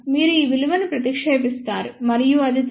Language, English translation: Telugu, You substitute all these values and that comes out to be 3